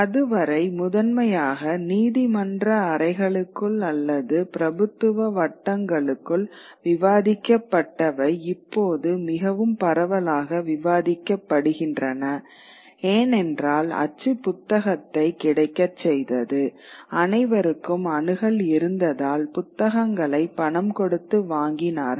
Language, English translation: Tamil, What was still then discussed primarily within courtrooms or within aristocratic circles would now get much widely, much more widely discussed because print made the book available